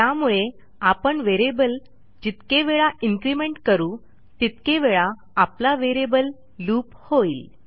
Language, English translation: Marathi, So how much you want to increment your variable determines the number of times your variable loops by